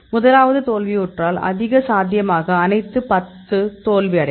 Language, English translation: Tamil, If the first one fails then the high possibility that all the 10 will fail